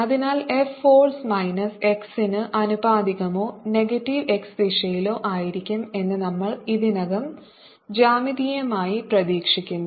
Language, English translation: Malayalam, so we already anticipate geometrically that the force f is going to be proportional to minus x or in the negative x direction